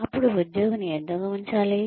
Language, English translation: Telugu, Then, why should the employee be kept